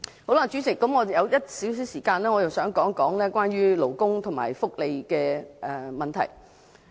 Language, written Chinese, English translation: Cantonese, 代理主席，還有少許時間，我想談談有關勞工和福利的問題。, Deputy President as I still have some time I would like to speak on labour and welfare issues now